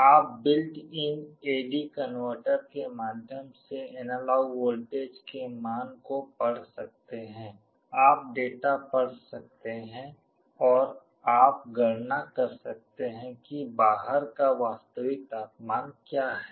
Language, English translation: Hindi, You can read the value of the analog voltage through built in A/D converter, you can read the data and you can make a calculation what is the actual temperature outside